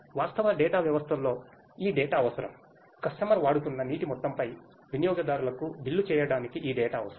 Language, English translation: Telugu, And this data is required to actually in real systems this data is required to bill the customers on the amount of water that the customer is using